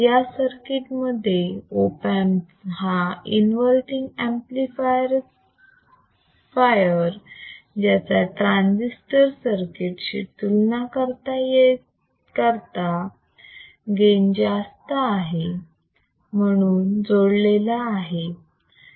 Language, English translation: Marathi, Now iIn the given circuit, the Op amp is connected as an inverting amplifier with thea high gain as compared to with the transistor circuit